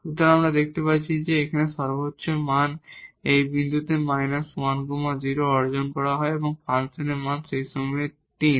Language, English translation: Bengali, So, here we see that the maximum value is achieved at this point minus 1 0 which is the value of the function is 3 at this point